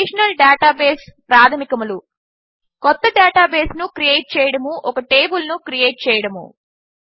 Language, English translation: Telugu, Relational Database basics, Create a new database, Create a table